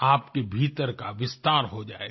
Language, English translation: Hindi, Your thinking will expand